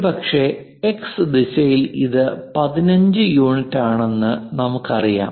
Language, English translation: Malayalam, Perhaps in the X direction, here we know X direction it is the Y direction; in the X direction 15 units